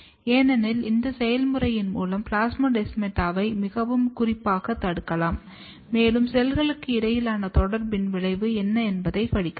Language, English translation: Tamil, Because through this mechanism you can very specifically block plasmodesmata and you can study what is the effect of cell to cell communication between the cells